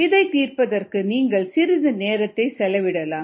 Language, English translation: Tamil, you might want to spend some time and solving this